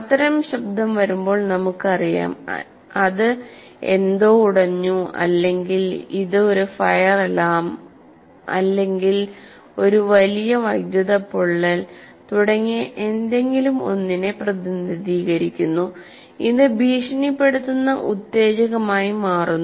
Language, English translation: Malayalam, We know when such and such a sound comes, it represents something breaking down or there is a fire alarm or there is a big electrical burnout or something, whatever it is, it becomes a threatening stimulus